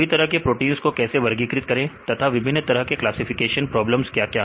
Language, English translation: Hindi, How to classify different types of proteins, what are the different classification problems